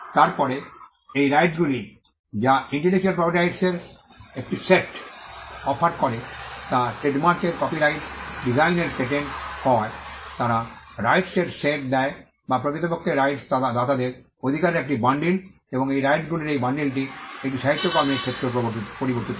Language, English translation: Bengali, Then these rights offer a set of Rights intellectual property Rights be it patents trademarks copyright designs; they offer a set of rights it is actually a bundle of rights to the right holder and these bundle of rights also varies in the case of a literary work